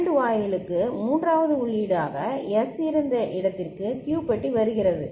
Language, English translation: Tamil, And Q bar is coming to where the S was there as a third input to the AND gate ok